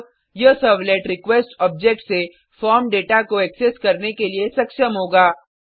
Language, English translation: Hindi, Now, this servlet will be able to access the form data from the request object